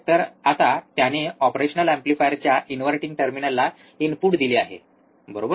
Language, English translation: Marathi, So now, he has given the input to the inverting terminal of the operational amplifier, right